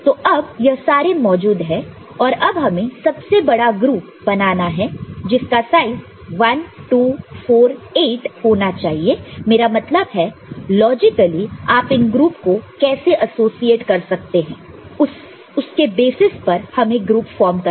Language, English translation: Hindi, So, you can see these their presence now you have to form the largest group of size 1, 2, 4, 8 I mean depending on how you can associate logically these groups